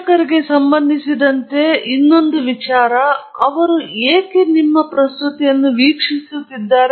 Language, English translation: Kannada, The other thing that you need to understand with respect to the audience is why are they watching